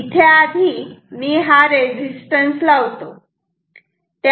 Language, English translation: Marathi, Here also let me put this resistances first